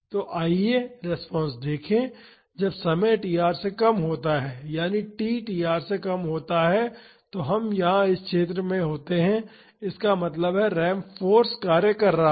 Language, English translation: Hindi, So, let us find the response; when time is less than tr that is t less than tr we here in this zone; that means, the ramped force is acting